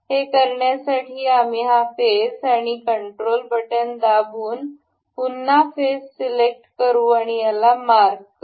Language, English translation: Marathi, To do this we will select this face and we will select control select this face and we will mark